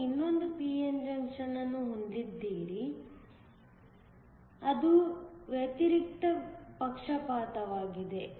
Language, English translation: Kannada, You have another p n junction that is reversed bias